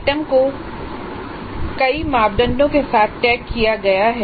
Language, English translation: Hindi, So the items are tagged with several parameters